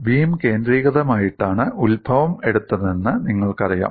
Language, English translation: Malayalam, The origin is taken as the center of the beam